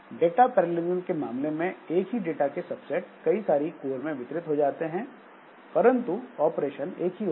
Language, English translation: Hindi, So, data parallelism, it says it distributes subsets of the same data across multiple codes and some with same operation on each